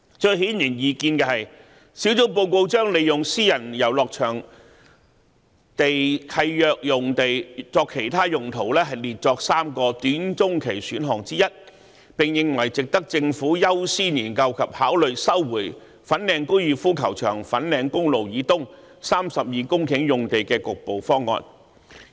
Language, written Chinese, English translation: Cantonese, 最顯而易見的是，專責小組報告將"利用私人遊樂場地契約用地作其他用途"列作3個"短中期選項"之一，並認為"值得政府優先研究及考慮收回粉嶺高爾夫球場粉錦公路以東32公頃用地的局部方案"。, A most obvious case in point is that the report of the Task Force listed alternative uses of sites under private recreational leases as one of the three short - to - medium term options and considered it is worthwhile for the Government to accord priority to studying and resuming the 32 hectares of land of the Fanling Golf Course to the east of Fan Kam Road under the partial option